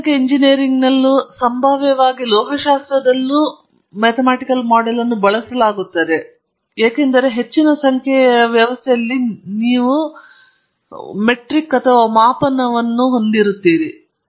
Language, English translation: Kannada, In chemical engineering, it is used, presumably in metallurgy also because in large number of systems you have a lag in measurement